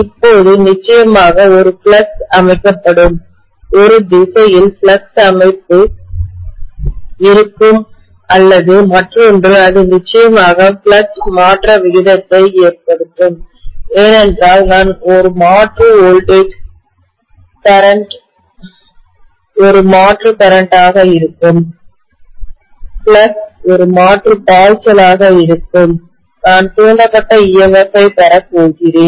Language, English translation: Tamil, Now definitely there will be a flux that will be set up, there will be a flux setup in one direction or the other and that is definitely going to cause a rate of change of flux because I am having an alternating voltage, the current will be an alternating current, the flux will be an alternating flux and I will have an induced EMF